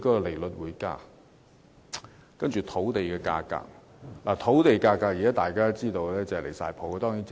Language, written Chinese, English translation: Cantonese, 大家都知道，現時土地價格已升至離譜的水平。, As we all know land prices have currently risen to an outrageous level